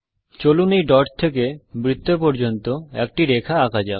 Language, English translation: Bengali, Let us draw a line from this dot to the circle